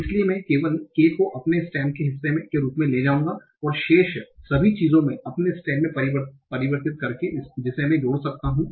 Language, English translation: Hindi, So I'll take only k as common as part of my stem and everything else remaining I'll convert into my stem that I might add it and that you see in the last three